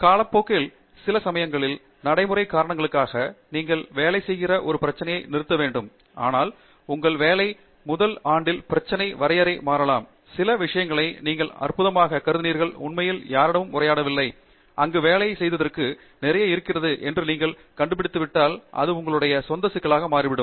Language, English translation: Tamil, Of course at some point in time, for practical reasons, you have to freeze a problem that you are working on, but however, in the first year of your working, the problem definition can change, and some things that you thought were trivial have really not been addressed by anyone, and you find that there is a lot to work in there, and that can become your own problem of research and so on